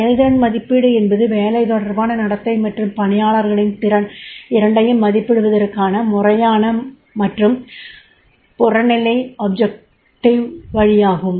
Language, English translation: Tamil, Performance appraisal is a systematic and objective way of evaluating both work related behavior and potential of employees